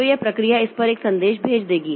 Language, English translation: Hindi, So, this process will send a message to this one